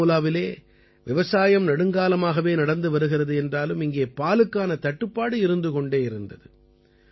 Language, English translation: Tamil, Farming has been going on in Baramulla for a long time, but here, there was a shortage of milk